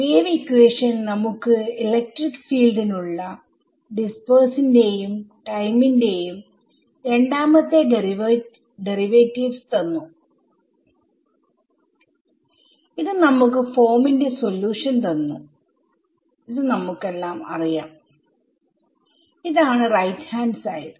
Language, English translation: Malayalam, So, our wave equation gives us the second derivatives of space and time for the electric field and this gives us the solution of the form we all know this plus minus kx right